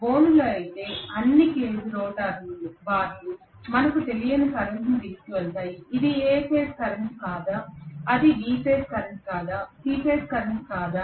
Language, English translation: Telugu, Whereas in cage, all the cage rotor bars will carry any current we do not know whether it is A phase current, whether it is B phase current, whether it is C phase current